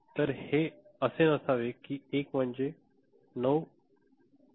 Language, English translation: Marathi, So, it shouldn’t be 1 is say, 9